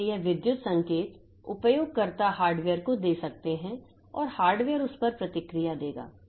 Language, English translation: Hindi, So, this electrical signals the users can give to the hardware and the hardware will respond to that